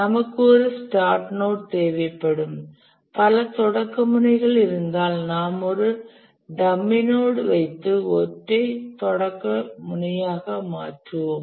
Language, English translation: Tamil, If we find that there are multiple finish nodes, we will put a dummy node and we will make it a single finish node